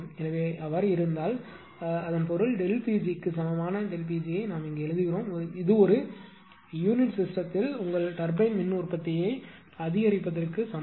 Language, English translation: Tamil, So, if it is if it is; that means, and we are writing delta P g to delta pt is equal to incremental incremental your turbine power output in per unit system